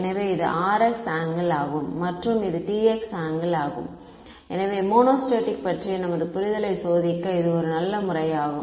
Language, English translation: Tamil, So, this is the R x angle and this is the T x angle ok, so, just to test our understanding of the monostatic case